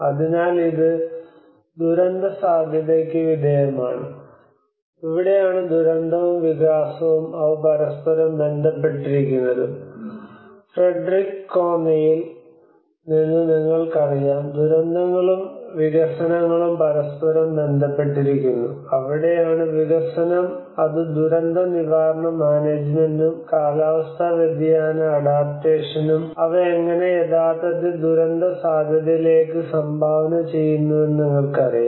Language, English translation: Malayalam, So which is subjected to the disaster risk and this is where the disaster and the development and this where they are interrelated, you know from Frederick Connie when he talks about the disasters and development are interrelated with each other, and that is where the development within which the disaster risk management and the climate change adaptation, how they can actually contributed to the disaster risk you know this is what the whole understanding